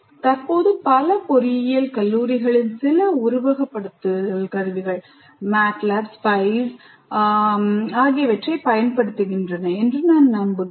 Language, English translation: Tamil, I'm sure that already presently many of the engineering colleges do use some simulation tools already, like MATLAB or SPICE and so on